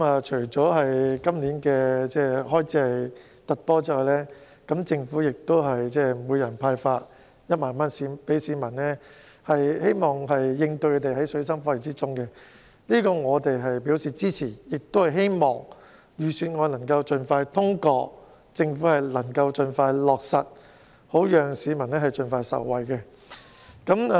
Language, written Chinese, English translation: Cantonese, 除了今年的開支特別多外，政府亦向每位市民派發1萬元，希望應對他們在水深火熱中的需要，我們對此表示支持，亦希望預算案能盡快通過，政府盡快予以落實，讓市民盡快受惠。, Apart from the exceptionally large amount of expenditure this year the Government will also hand out 10,000 cash to each member of the public with the hope of addressing the needs of people who are in misery . We would like to render our support in this regard . We also hope that the Budget can be passed as soon as possible and the measures proposed can be implemented by the Government and benefit members of the public as soon as possible